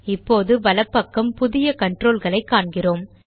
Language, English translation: Tamil, Now on the right we see new controls